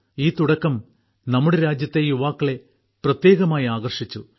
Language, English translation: Malayalam, This beginning has especially attracted the youth of our country